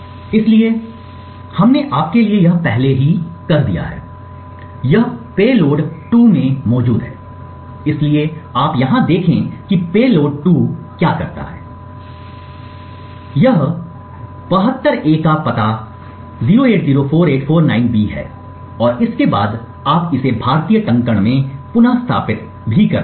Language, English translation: Hindi, so this is present in payload 2, so you see over here that what payload 2 does is that it creates 72 A’s followed by the address 0804849B so this as you can recollect is the little Indian notation